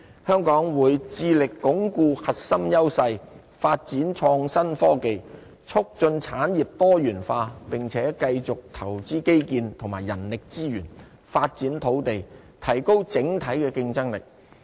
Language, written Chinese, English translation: Cantonese, 香港會致力鞏固核心優勢，發展創新科技，促進產業多元化並且繼續投資基建及人力資源，發展土地，提高整體競爭力。, Hong Kong will endeavour to consolidate its core advantages develop innovation and technology promote diversification of industries and maintain investment in infrastructures and human resources as well as to conduct land development so as to enhance our overall competitiveness